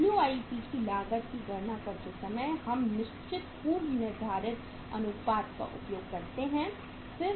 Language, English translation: Hindi, Here while calculating the cost of WIP we use certain uh say uh predecided proportions